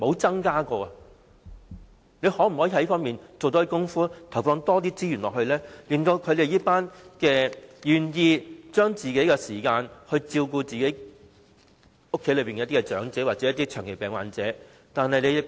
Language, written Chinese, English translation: Cantonese, 政府可否在這方面多做工夫，投放多些資源及提供支援給這群願意花個人時間來照顧家中長者或長期病患者的人呢？, Can the Government devote more efforts and allocate more resources to providing support for individuals who are willing to sacrifice their personal time to take care of elderly persons or the chronically ill?